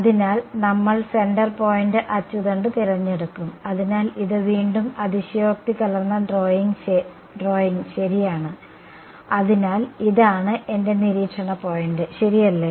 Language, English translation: Malayalam, So, we will choose the centre point axis so, what becomes like this again exaggerated drawing ok, so this is my observation point ok